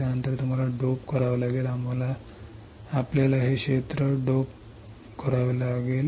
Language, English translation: Marathi, After that you have to dope; you have to dope this area